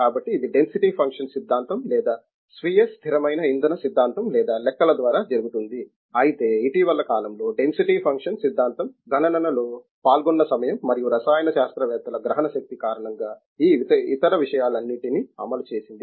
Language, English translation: Telugu, So, this is done by density functional theory or self consistent fuel theory or calculations, but the recent times density functional theory has over run all these other things because of the time involved in the computation and also comprehension by the chemists